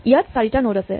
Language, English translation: Assamese, There are 4 nodes